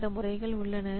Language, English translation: Tamil, So, those methods are there